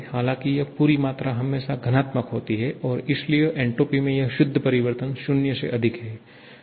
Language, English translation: Hindi, However, this entire quantity is always positive and thereby this net change in entropy is greater than 0